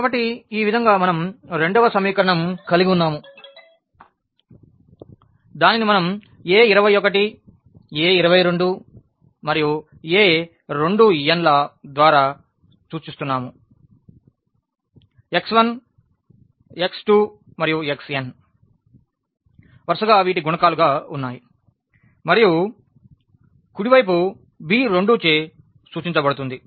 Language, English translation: Telugu, So, similarly we have the second equation which we have denoted by a 2 1 2 2 and 2 n these are the coefficients of x 1 x 2 x n respectively and the right hand side is denoted by b 1